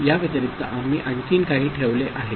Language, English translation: Marathi, In addition there is another bit we have put